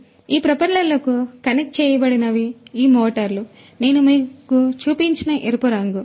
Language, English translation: Telugu, So, connected to these propellers are these motors the red coloured ones that I showed you